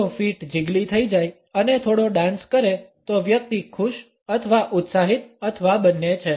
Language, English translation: Gujarati, If the feet get jiggly and do a little dance the person is happy or excited or both